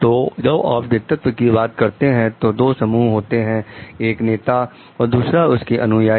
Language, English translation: Hindi, So, when you are talking of leadership, there are two parties, the followers and the leaders